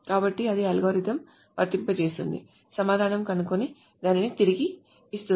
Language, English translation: Telugu, So then it applies that algorithm, finds the answer and returns you